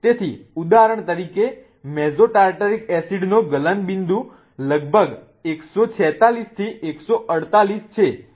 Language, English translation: Gujarati, So, for example, mesotatartaric acid has the melting point of about 146 to 148